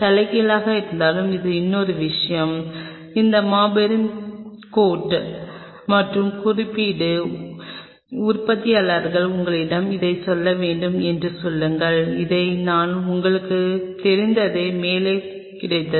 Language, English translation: Tamil, And even with inverted this is another thing which most of these giant coat and code manufacturers own tell you have to ask then this and I myself got like kind of you know, once I do